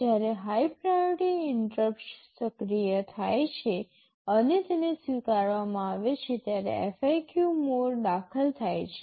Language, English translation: Gujarati, The FIQ mode is entered when a high priority interrupt is activated and is acknowledged